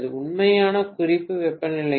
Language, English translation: Tamil, With the actual reference temperature